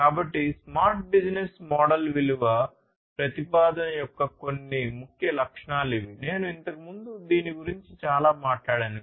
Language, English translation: Telugu, So, these are some of the key attributes of the smart business model value proposition, which I have talked a lot earlier